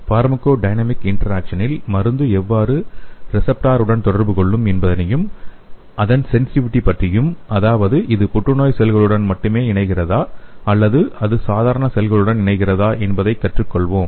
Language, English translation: Tamil, In the pharmacodynamic interactions, we will be studying how the drug will be interacting with the receptor and about its sensitivity whether it is binding only to the cancer cells or it is binding to the normal cell also